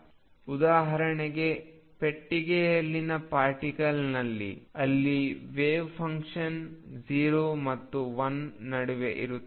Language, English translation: Kannada, What is seen is for example, particle in a box, where wave function is between 0 and l